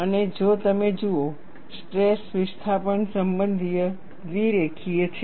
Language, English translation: Gujarati, And if you look at, the stress displacement relationship is bilinear